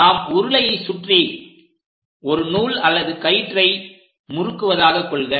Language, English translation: Tamil, So, if we are winding a thread or rope around a cylinder